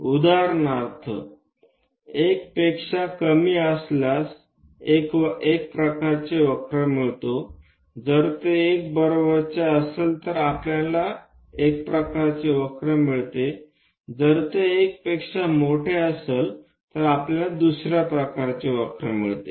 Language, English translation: Marathi, If it makes one particular unit, for example, less than 1 we get one kind of curve, if it is equal to 1, we get one kind of curve, if it is greater than 1 we get another kind of curve